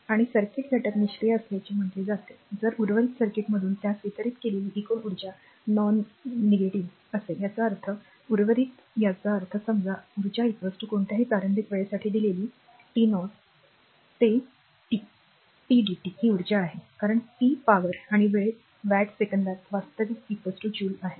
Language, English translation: Marathi, So, a circuit element is said to be passive, if the total energy delivered to it from the rest of the circuit is nonnegative; that means, that the rest; that means, that suppose energy is equal to given for any initial time t 0 to t p into dt is energy because p is power and time watt second actually is equal to joule